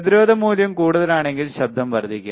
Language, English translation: Malayalam, If the resistance value is higher, noise will increase